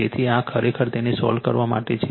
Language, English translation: Gujarati, So, this is for you actually solve it